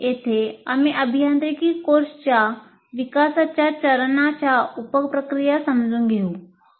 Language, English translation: Marathi, So here we try to understand the sub processes of development phase for an engineering course